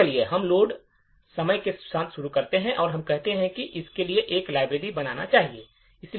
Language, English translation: Hindi, So, let us start with load time relocatable and let us say that we want to create a library like this